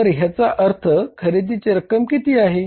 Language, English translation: Marathi, So it means what is the amount of purchases